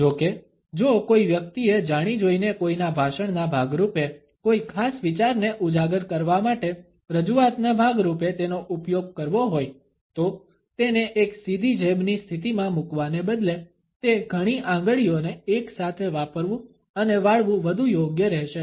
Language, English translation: Gujarati, However, if somebody has to use it deliberately as a part of one’s speech, as a part of ones presentation to highlight a particular idea for example, then it would be more appropriate to use several fingers together and bending them instead of putting it in a direct jab position